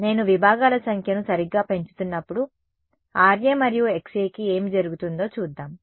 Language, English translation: Telugu, So, let me look at what happens to Ra and Xa as I increase the number of segments right